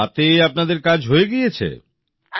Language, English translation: Bengali, and your work is done with it